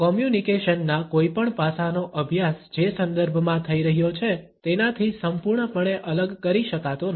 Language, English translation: Gujarati, No study of any aspect of communication can be absolutely isolated from the context in which it is taking place